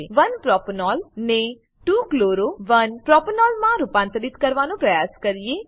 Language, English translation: Gujarati, Lets now try to convert 1 Propanol to 2 chloro 1 propanol